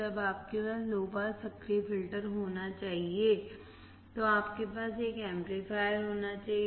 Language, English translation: Hindi, When you have to have low pass active filter, you have to have an amplifier